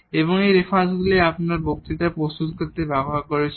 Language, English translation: Bengali, And these are the references we have used to prepare these lecture